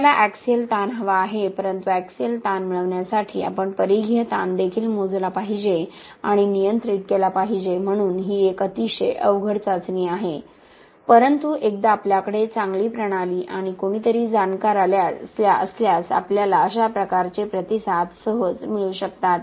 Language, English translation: Marathi, we want the axial strain but to get the axial strain we should also measure and control the circumferential strain, so it is a very tricky test but once you have a good system and somebody who is knowledgeable, we can easily get these types of responses and capture them